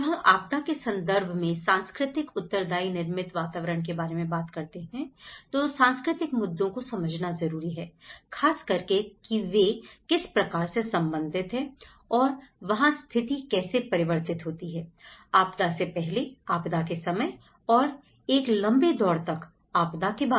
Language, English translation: Hindi, When we talk about the cultural responsive built environments in a disaster context, one has to understand the basics of the cultural issues and how especially, they are related to the built to meet needs and how they change from the pre disaster context during disaster and the post disaster context and over a long run process